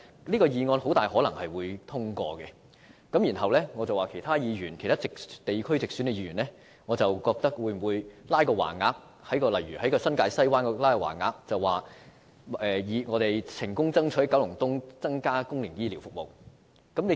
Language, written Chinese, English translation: Cantonese, 這項議案很可能會通過，那麼，其他地區如新界西的直選議員會否在該區掛起橫額，表示他們成功爭取增加九龍東的公營醫療服務呢？, It is most likely that this motion will be passed . In that case will those directly elected Members of other districts such as New Territories West hang banners in their districts stating their success in fighting for an increase in public healthcare services in Kowloon East?